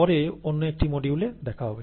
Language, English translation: Bengali, See you later in another module